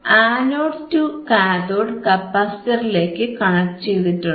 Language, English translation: Malayalam, So, this anode to cathode is connected to the capacitor to the capacitor alright